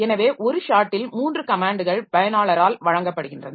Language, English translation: Tamil, So, there are three comments that are given in one shot by the user